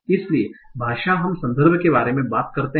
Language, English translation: Hindi, So in language we talk about context as such